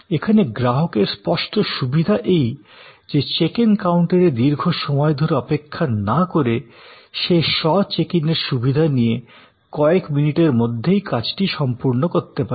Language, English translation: Bengali, So, the advantages are obvious, that instead of a very complicated long wait at the checking counter, you can actually go through the self checking facility and get it done in a few minutes